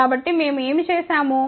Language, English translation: Telugu, So, what we did